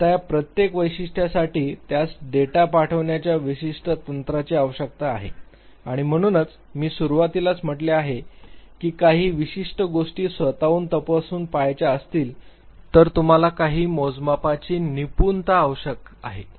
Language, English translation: Marathi, Now each of these characteristics it requires specific data handing technique and therefore, in the beginning I said that you are required to master certain scales if you want to investigate certain things yourself